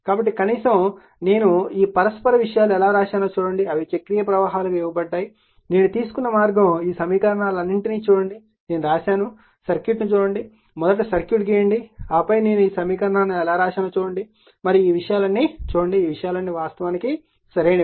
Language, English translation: Telugu, So, see how are you at least you will learn that, how I have written this all mutual things are given, they are cyclic current is given, the way I have taken right and just see this all this equations, I have written for you just see the circuit draw the circuit first, then you see the equations how I have written right and see all these things all these things written everything is actually correct